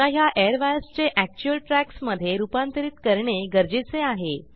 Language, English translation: Marathi, Now we need to convert these airwires in to actual tracks